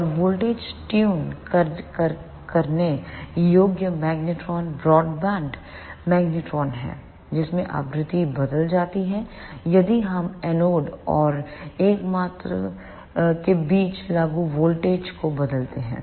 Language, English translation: Hindi, And the voltage tunable magnetrons are the broadband magnetrons in which frequency changes if we vary the applied voltage between the anode and the sole